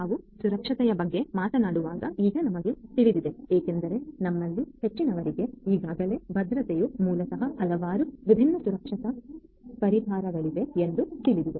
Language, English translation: Kannada, Now you know when we talk about security, as most of us already know that security basically there are lot of different security solutions that are available right